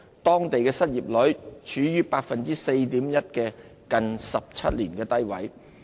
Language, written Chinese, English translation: Cantonese, 當地失業率處於 4.1% 的近17年低位。, Its unemployment rate falls to 4.1 % lowest in 17 years